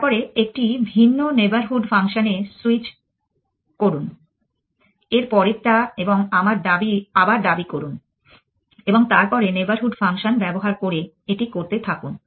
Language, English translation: Bengali, Then, switch to a different neighborhood function the next one an en claim up again and then keep doing that using neighborhood function